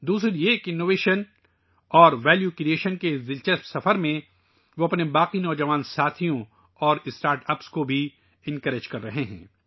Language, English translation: Urdu, Secondly, in this exciting journey of innovation and value creation, they are also encouraging their other young colleagues and startups